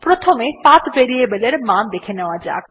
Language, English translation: Bengali, Lets see the value of the path variable